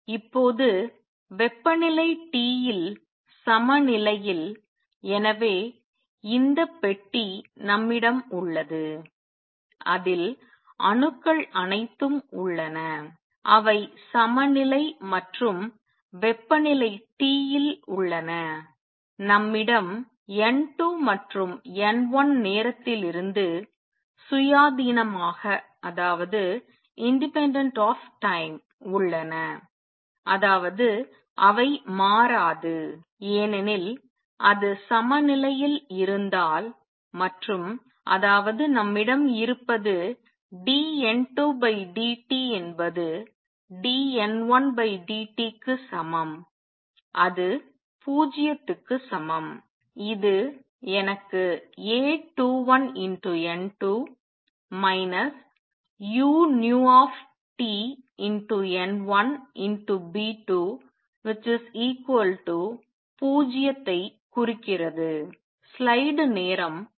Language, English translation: Tamil, Now, in equilibrium at temperature T, so we have this box in which all these atoms are there and they are at equilibrium and temperature T we have N 2 and N 1 independent of time; that means, they do not change because if it is in equilibrium and; that means, what we have is dN 2 over dt is equal to dN 1 over dt is equal to 0 and that gives me this implies A 21 N 2 minus u nu T B 12 N 1 is equal to 0